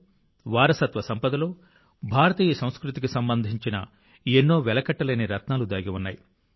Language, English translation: Telugu, Many priceless gems of Indian culture are hidden in the literature and heritage of Telugu language